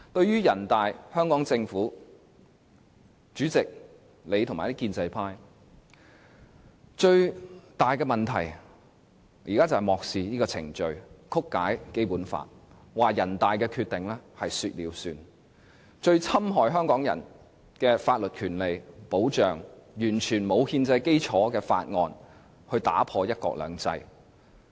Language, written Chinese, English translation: Cantonese, 人大、香港政府、主席和建制派議員最大的問題，是在漠視程序、曲解《基本法》，把人大《決定》當成說了算，這是最侵害香港的法律權利和保障的做法，用完全沒有憲制基礎的法案，打破"一國兩制"。, Actually snubbing procedures distorting the Basic Law and making the NPCSCs Decision count are the biggest problems of NPC the Hong Kong Government the President as well as the pro - establishment Members and the greatest damages done to the legal rights and protection in Hong Kong . The introduction of the Bill with absolutely no constitutional basis will put the one country two systems principle into ruin